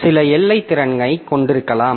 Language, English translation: Tamil, We can have some bounded capacity